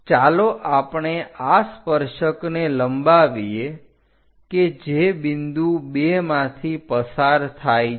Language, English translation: Gujarati, Let us extend this tangent which is passing through point 2 all the way up